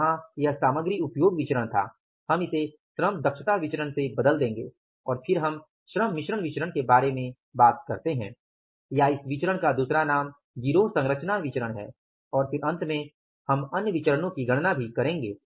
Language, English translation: Hindi, Here we will replace it with the labor efficiency variance and then we talk about the labor mixed variance or another name of this variance is the gang composition variance and then finally we will be calculating the other variances also